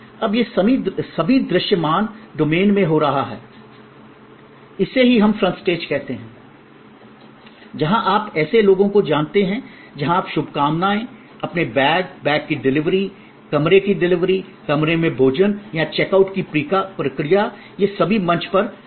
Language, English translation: Hindi, Now, all these are happening in the visible domain, this is what we call the front stage and then that is set of on stage, where you know people where greeting you, taking your bags, your delivery of the bags, delivery of the room service or what we call these days, in room dining, food in a room or the process of check out, these are all part of the on stage